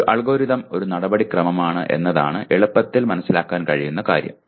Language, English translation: Malayalam, A easy to understand thing is an algorithm is a procedure